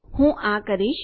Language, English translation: Gujarati, I am going to do this